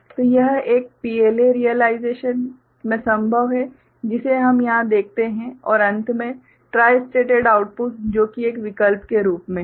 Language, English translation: Hindi, So, this is possible in a PLA realization the one that we see over here and finally, the tristated output, that is there as an option